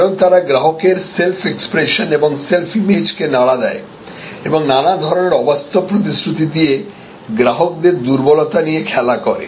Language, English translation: Bengali, Because, they thinker with customer self expression and self image and play on customer weaknesses by promising all kinds of unsubstantial claims